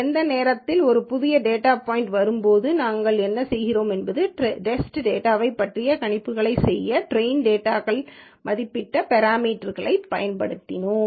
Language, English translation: Tamil, And any time a new data point comes, what we do is, we use the parameters that have been estimated from the train data to make predictions about test data